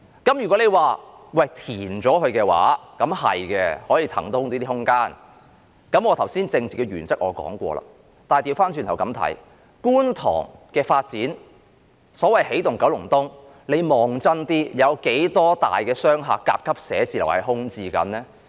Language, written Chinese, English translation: Cantonese, 填海的確可以騰出空間，我剛才已經提出了一些政治原則，但倒過來看，在觀塘的發展中，所謂的"起動九龍東"，如果大家看清楚，當中有多少幢大型商廈和甲級寫字樓現正空置呢？, I have already put forward some political principles just now . However looking at the other way round in the development of Kwun Tong ie . the so - called Energizing Kowloon East if we look at it with a clear mind how many large - scale commercial buildings and Grade A office buildings in the district are left vacant now?